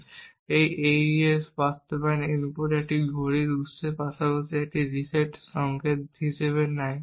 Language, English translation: Bengali, Now this AES implementation also takes as input a clock source as well as a reset signal